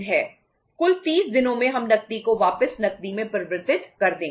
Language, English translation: Hindi, In total 30 days we will be converting the cash back into the cash